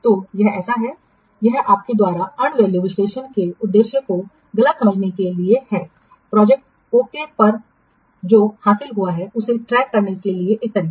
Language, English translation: Hindi, So this is to misunderstand the purpose of end value analysis, which is a method for tracking what has been achieved on a project